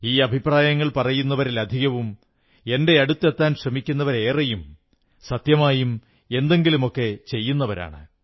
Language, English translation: Malayalam, Most of those who give suggestions or try to reach to me are those who are really doing something in their lives